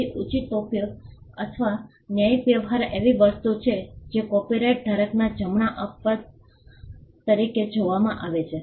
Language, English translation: Gujarati, So, fair use or fair dealing is something that is seen as an exception to the right of the copyright holder